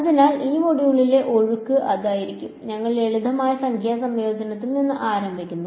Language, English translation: Malayalam, So, that is going to be the flow in this module, we start with simple numerical integration right